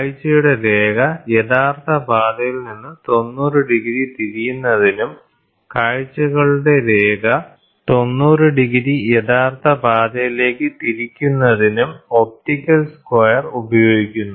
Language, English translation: Malayalam, An optical square is used for is useful in turning the line of sight by 90 degrees from the original path, turning the line of sights by 90 degrees to the original path